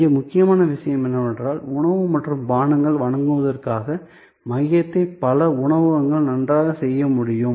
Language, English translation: Tamil, Important thing here is that, the core of providing food and beverage can be very well done by many restaurants